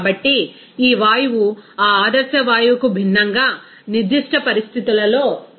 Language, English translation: Telugu, So, this gas will be behaving at particular conditions differently from that ideal gas